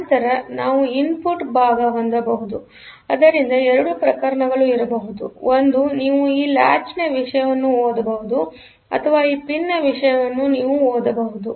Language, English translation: Kannada, Then otherwise, we can have; so when for the input part; so there can be two cases; one is you can read the content of this latch or you can read the content of this pin